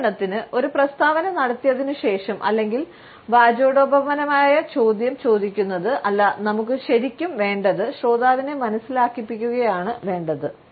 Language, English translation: Malayalam, For example after making a statement or asking a rhetorical question is not that what we really want, we not to suggest the listener yes, it is